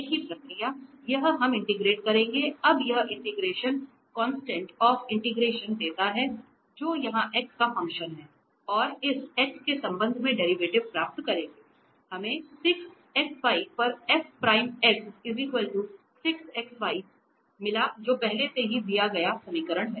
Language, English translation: Hindi, The same process this we will integrate now the integration gives this constant of integration which is a function here of x and by getting the derivative with respect to x, we got 6 xy F prime x and here this is equal to 6 xy which is the given equation already